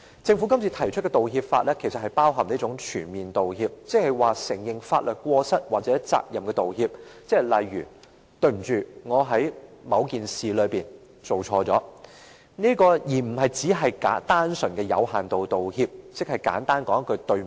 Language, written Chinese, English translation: Cantonese, 政府今次提出的《條例草案》，其實包含一種"全面道歉"的意思，意即承認法律過失或責任的道歉，例如："對不起，我在某件事中做錯了"，而不僅是單純而有限度道歉，即是簡單地說一句對不起。, The Bill proposed by the Government this time is about full apology an apology with admission of legal fault or responsibility such as I am sorry for a mistake I made in a certain case . It is not a plain and partial apology a simple sorry